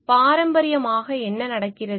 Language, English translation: Tamil, Classically what happens